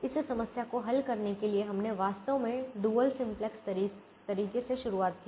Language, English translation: Hindi, we actually started with the dual simplex way